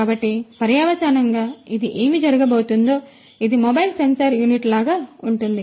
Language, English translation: Telugu, So, consequently what is going to happen this is going to be like a mobile sensor unit right